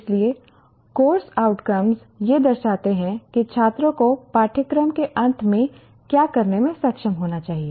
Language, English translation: Hindi, So, the course outcomes represent what the student should be able to do at the end of a course